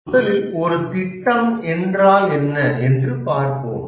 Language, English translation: Tamil, First, let us look at what is a project